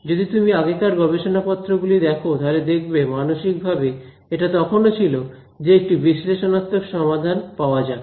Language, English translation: Bengali, If you look at the early papers that mentality was still there that; let us get analytical solution